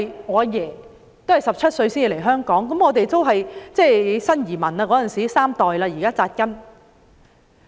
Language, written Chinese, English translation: Cantonese, 我祖父17歲來香港，當時是新移民，現在已經在香港扎根三代。, My grandfather came to Hong Kong when he was 17 . He was a new arrival back then yet he settled down and three generations of his family have now made Hong Kong their home